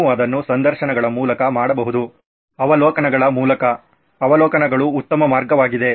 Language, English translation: Kannada, You can either do it through interviews, through observations, observations are much better way